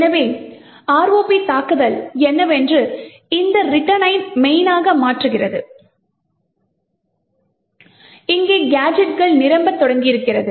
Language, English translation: Tamil, So, what an ROP attack actually does, is that it replaces this return to main and starts filling in gadgets over here